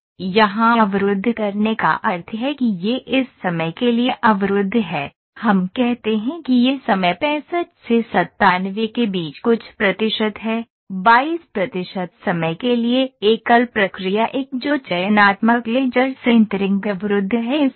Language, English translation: Hindi, Now, blocking here means this is blocked for this much of time we say this is percentage of time from 65 to 97 something for 22 percent of the time the single process 1 that is selective laser sintering is blocked